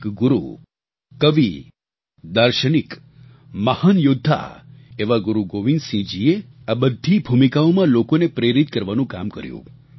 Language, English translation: Gujarati, A guru, a poet, a philosopher, a great warrior, Guru Gobind Singh ji, in all these roles, performed the great task of inspiring people